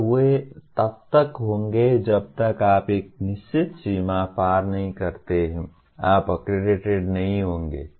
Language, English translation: Hindi, And they will be, unless you cross a certain threshold you will not be accredited